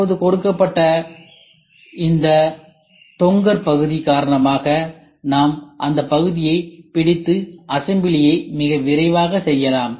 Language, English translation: Tamil, And now because of this flap which is given we can hold the part and do the assembly very fast ok